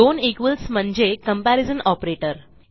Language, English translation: Marathi, This is the first comparison operator